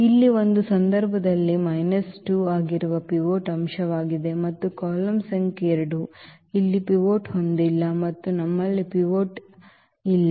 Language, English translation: Kannada, So, here this is the pivot element which is minus 2 in this case and the column number two does not have a pivot here also we do not have pivot